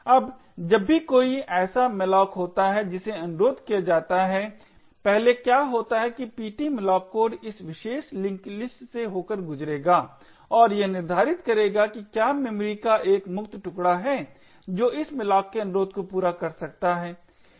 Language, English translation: Hindi, Now whenever there is a malloc that gets requested what happens first is that the ptmalloc code would pass through this particular link list and determining whether there is a free chunk of memory that it can satisfy the request for malloc